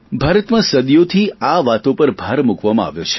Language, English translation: Gujarati, In India, this has been accorded great importance for centuries